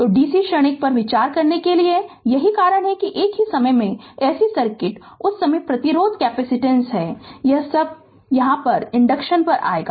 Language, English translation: Hindi, So, because we have to we have to consider dc transient, so that is that is why that at the same time while we consider ac circuit at that time resistance capacitance all this you what you call inductance all will come